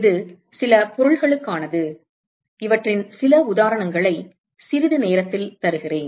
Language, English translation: Tamil, This is for certain objects, I will give you a few examples of these in a short while